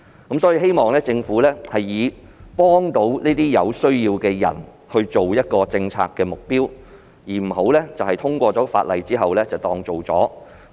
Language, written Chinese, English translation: Cantonese, 我希望政府以幫助有需要人士作為政策目標，不要只通過《條例草案》便當作做了事。, I hope that the Government will lay down a policy objective to help the people in need instead of assuming that the work has been done after the passage of the Bill